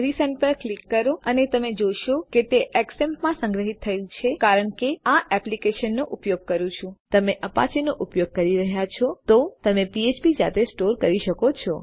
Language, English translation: Gujarati, Click on Resend and you can see that thats stored into an xampp cause Im using this application But if youre using an apache you can store php yourself